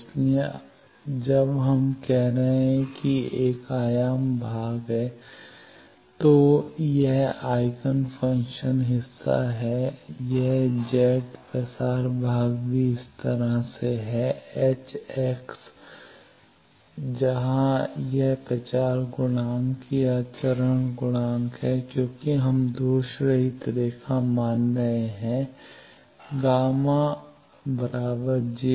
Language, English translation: Hindi, So, that we are saying, that there is an amplitude part then this is the Eigen function part this is the Z propagation part, hx plus also like this where this propagation constant or phase constant since we are assuming lossless line gamma is j beta